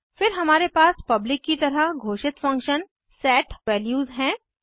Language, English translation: Hindi, Then we have function set values declared as public